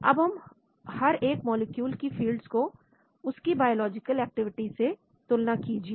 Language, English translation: Hindi, Then, compare the fields of each molecule with the biological activity